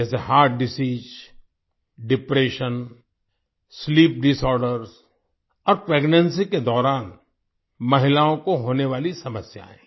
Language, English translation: Hindi, Like Heart Disease, Depression, Sleep Disorder and problems faced by women during pregnancy